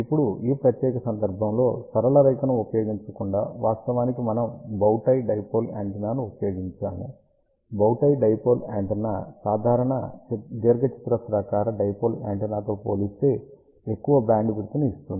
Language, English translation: Telugu, Now, in this particular case instead of using a straight line actually speaking we have used bow tie dipole antenna, bow tie dipole antenna gives relatively larger bandwidth compared to a simple rectangular dipole antenna